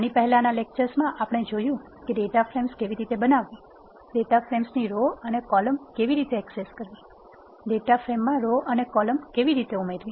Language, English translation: Gujarati, In the previous lectures, we have seen how to create data frames, How to access rows and columns of data frames, How to add rows and columns to existing data frame